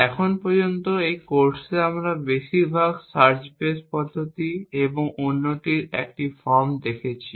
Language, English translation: Bengali, So far in this course, we have looked at mostly search base methods and 1 form of the other